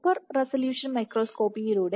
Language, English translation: Malayalam, And in the super resolution microscopy